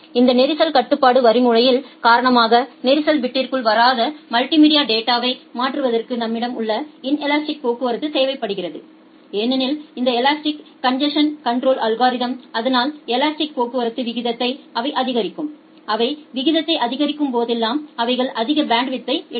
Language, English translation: Tamil, We required that the inelastic traffic that we have which is used to transfer a multimedia data they do not get into congestion bit, due to this congestion control algorithm of the elastic traffic because this elastic traffic they will increase the rate, whenever they will increase the rate they will take more bandwidth